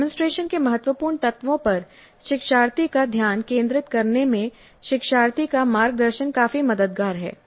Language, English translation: Hindi, Now learner guidance is quite helpful in making learner focus on critical elements of the demonstration